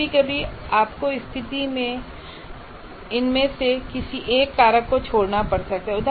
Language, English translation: Hindi, Sometimes you may have to forego one of these factors in a given situation